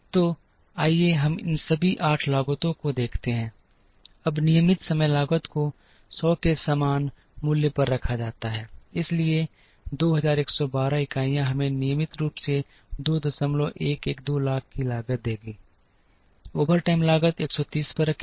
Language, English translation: Hindi, So, let us see all these 8 costs, now regular time cost is kept at the same value of 100, so 2112 units will give us a regular time cost of 2